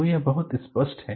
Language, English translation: Hindi, So, it is very clear